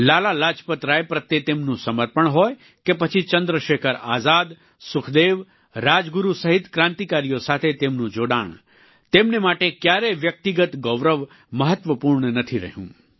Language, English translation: Gujarati, Be it his devotion towards Lala Lajpat Rai or his camaraderie with fellow revolutionaries as ChandraShekhar Azad, Sukhdev, Rajguru amongst others, personal accolades were of no importance to him